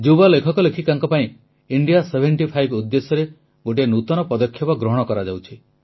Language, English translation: Odia, An initiative has been taken for Young Writers for the purpose of India SeventyFive